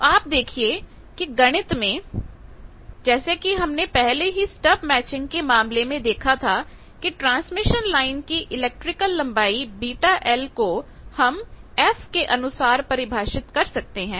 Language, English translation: Hindi, So, you see this is the mathematics, again as we have seen in case of the stub matching etcetera that beta L, the electric length of the transmission line that should be expressed as a function of f